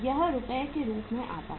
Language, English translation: Hindi, This works out as rupees